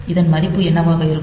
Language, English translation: Tamil, So, what will be the value of this